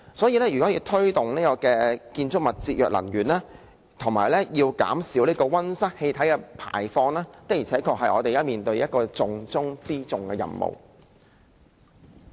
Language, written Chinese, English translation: Cantonese, 因此，推動建築物節約能源及減少溫室氣體排放，是我們現時面對的一個重中之重的任務。, Thus promoting energy saving and the reduction of greenhouse gas emission in buildings are currently the most important tasks for us